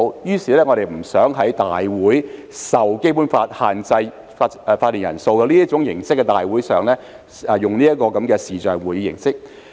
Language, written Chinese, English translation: Cantonese, 因此，我們不想就立法會會議——受《基本法》限制法定人數的會議——使用視像會議形式。, Hence we do not want to use videoconferencing for the meetings of the Legislative Council of which the quorum is subject to the Basic Law